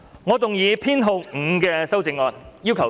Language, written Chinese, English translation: Cantonese, 我動議編號5的修正案。, I move that Amendment No . 5 be passed